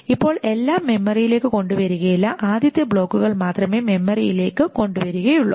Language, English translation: Malayalam, Now not everything will be brought into memory, only the first blocks will be brought into memory